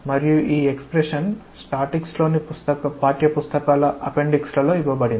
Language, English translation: Telugu, And this expression is given in the appendix of the textbooks in statics